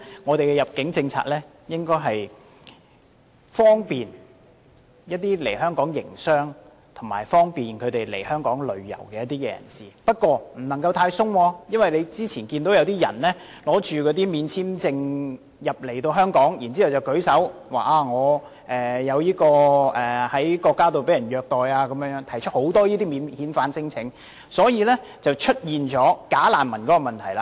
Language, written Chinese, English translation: Cantonese, 我們的入境政策應為來港營商及旅遊的人士提供便利，但也不能太過寬鬆，因為正如大家早前所見，有些人免簽證入境香港後，聲稱在所屬國家遭受虐待而提出免遣返聲請，因而導致出現"假難民"問題。, While our immigration policy should bring convenience to people visiting Hong Kong for business or pleasure it cannot be too lax . I am saying this because as we saw earlier after some people entered Hong Kong visa - free they claimed that they had been maltreated in their countries and so lodged non - refoulement claims thus resulting in the problem of bogus refugees